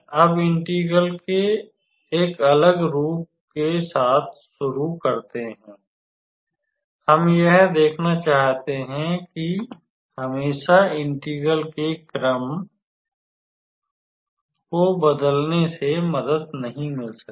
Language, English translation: Hindi, So, just starting with a different form of integral, we can be able to see that always changing the order of integration may not help